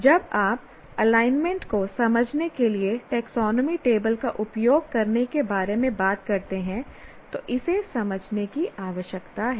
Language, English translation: Hindi, This is what one needs to understand when you talk about using taxonomy table to understand the alignment